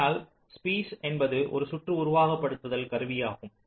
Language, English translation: Tamil, but spice is a circuit simulation tool which is pretty accurate